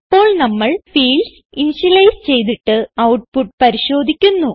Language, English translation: Malayalam, Now, we will initialize the fields explicitly and see the output